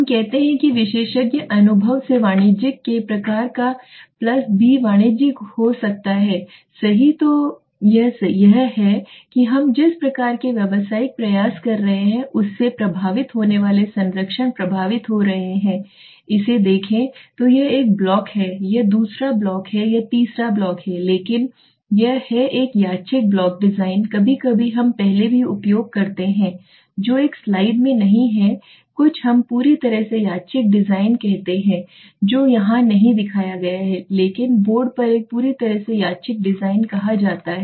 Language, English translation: Hindi, Let us say a plus B of the type of commercial from the expert experience commercial may be right so the patronages affecting is getting affected by the type of commercial we are trying to see this so this is one block this is the second block this is the third block but this although this is a randomized block design sometimes we also use before which is not there in this slide is something we call a completely randomized design which is not shown here but I will show you on the board there is something called a completely randomized design